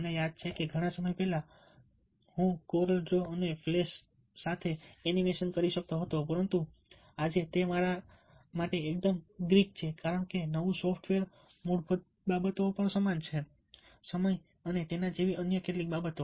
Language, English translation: Gujarati, i remember that a long time and that ten years back i use to do animation with cordial draw and flash and today it is absolutely: ah, greet me, me, because the new software, the basics remain, the remaining the same time and other few of the things like that